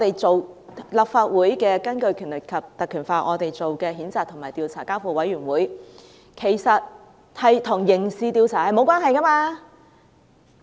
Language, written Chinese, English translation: Cantonese, 根據《立法會條例》，我們提出譴責及交付委員會調查，其實與刑事調查沒有關係。, Pursuant to the Legislative Council Ordinance we propose to censure a Member and refer the case to the investigation committee and this in fact has nothing to do with criminal investigation